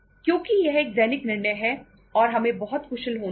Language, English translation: Hindi, Because it is a day to day decision and we have to be very very efficient